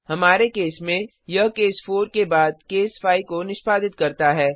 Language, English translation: Hindi, In our case, it executed case 5 after case 4